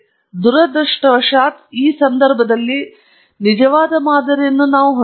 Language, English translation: Kannada, We do not have, unfortunately, in this case a true model